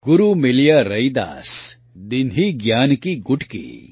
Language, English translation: Gujarati, Guru Miliya Raidas, Dinhi Gyan ki Gutki